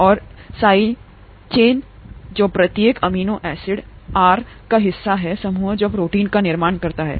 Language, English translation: Hindi, And the side chains that are part of each amino acid R group that constitute the protein